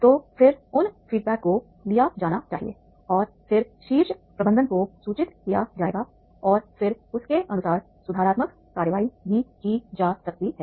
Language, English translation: Hindi, So then those feedbacks are to be taken and then the communicated to the top management and then accordingly there can be the correct actions also